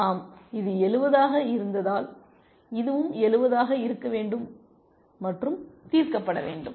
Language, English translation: Tamil, Yes because this was 70, this also should be 70 and solved